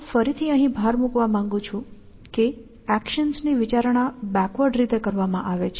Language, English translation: Gujarati, I want to emphasize again, that considering of actions is done in a backward fashion